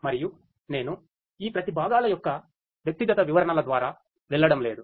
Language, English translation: Telugu, And the I am not going through the individual descriptions of each of these components